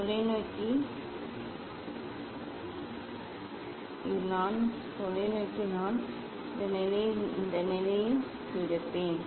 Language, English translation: Tamil, telescope I will take in this position in this position yeah